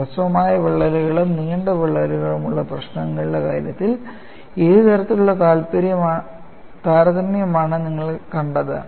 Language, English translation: Malayalam, And what way you saw is, in the case of actual problems with the short cracks and long cracks, what kind of a comparison